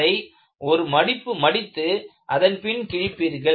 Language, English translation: Tamil, You will make a fold and tear it like this